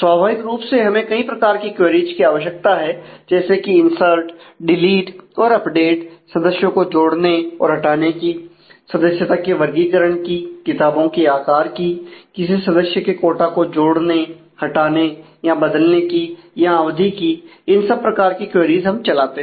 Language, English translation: Hindi, Now, naturally we need a whole lot of you know insert delete update kind of queries for adding or removing members categories of members shapes the books and so, on adding or removing or changing the quota of a category of member the duration for that also we will have queries like to check